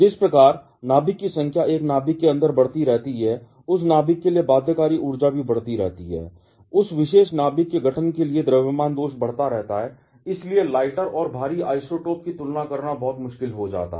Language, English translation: Hindi, As the number of nucleus keeps on increasing inside a nucleus, the binding energy for that nucleus also keeps on growing, mass defect corresponding to the formation of that particular nucleus keeps on increasing and therefore, it becomes very difficult to compare lighter and heavier isotopes